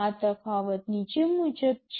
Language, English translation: Gujarati, The differences are as follows